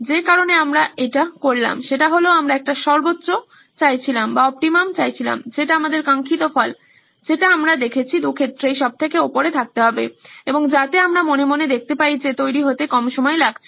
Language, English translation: Bengali, The reason we did that was that we wanted an optimum that is the desired results that we saw in the plus in both cases have to be on top and so that we can mentally visualise that less time of preparation